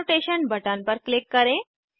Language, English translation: Hindi, Click on the Annotation Button